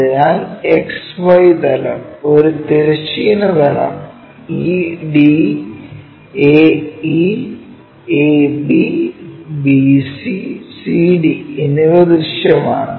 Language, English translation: Malayalam, So, X Y plane, horizontal plane like, what we have guessed ED, AE, AB, BC, CD are visible